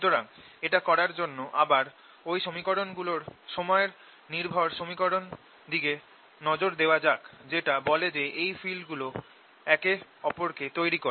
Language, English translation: Bengali, look at the equations, time dependent equations that tell us that this fields give rise to each other